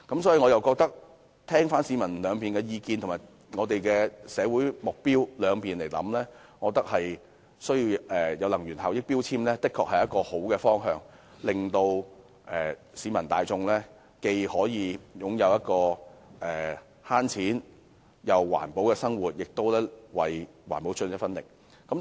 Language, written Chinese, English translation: Cantonese, 綜合考慮市民意見和社會目標後，我認為強制性標籤計劃的確是一個好方向，令市民大眾既可擁有省錢又環保的生活，也可為環保出一分力。, Having considered public views and social objectives comprehensively I think MEELS is indeed a good direction enabling the general public to save money and be environmental friendly as well as make a contribution to the environment